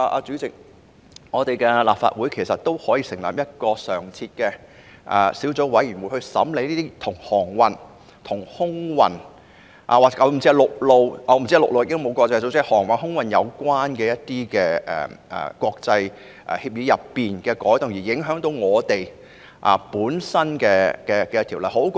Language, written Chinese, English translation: Cantonese, 主席，立法會也可以成立一個常設小組委員會，專責審議航運、空運或陸運——現時應該沒有國際陸運組織——國際協議當中會影響本港法例的改動。, President the Legislative Council can also set up a standing subcommittee dedicated to the scrutiny of amendments to the international agreements involving sea air or land freight―there is probably no international organization relating to land freight―which will affect Hong Kongs legislation